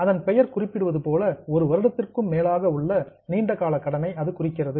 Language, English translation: Tamil, Now as the name suggests it is for a long term more than one year a borrowing